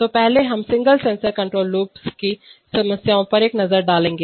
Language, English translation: Hindi, So first we will take a look at, the problems of single sensor control loops